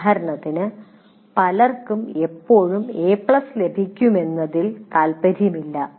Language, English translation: Malayalam, For example, many people, they are not interested in what you to get a A plus all the time